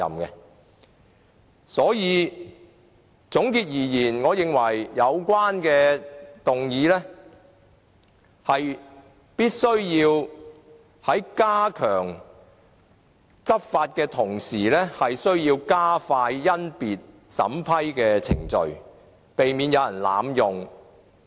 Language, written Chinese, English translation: Cantonese, 因此，總括而言，我認為有關的議案必須在加強執法的同時，需要加快甄別審批程序，避免有人濫用。, In sum I consider that as far as the motion is concerned we should step up the enforcement and speed up the examination and screening process in order to prevent abuse